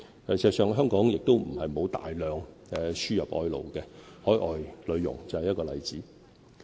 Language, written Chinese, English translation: Cantonese, 事實上，香港亦不是沒有大量輸入外勞，海外女傭就是一個例子。, In fact it is not true that Hong Kong has not imported a large number of workers . The importation of overseas domestic helpers is a case in point